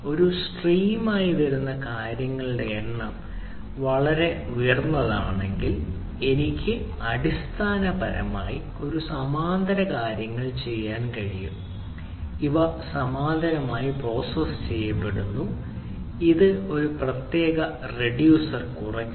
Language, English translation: Malayalam, you know, if the, if the number of things is pretty high coming as a stream, and then i can basically, ah, do a parallel things, right, these, these are parallely processed and this is reduced by the one particular reducer, right